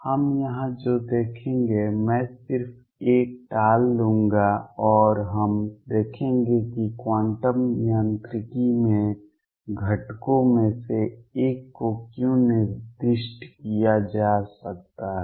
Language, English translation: Hindi, What we will see in here I just put a avert that only and we will see why one of the components can be specified in quantum mechanics